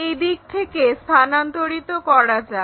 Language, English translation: Bengali, Let us transfer a from this direction